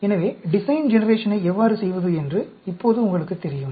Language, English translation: Tamil, So, now you know how to do a design generation